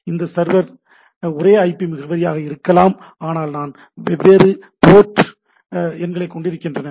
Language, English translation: Tamil, So, it may be the same server same IP address, but I have a different port numbers, right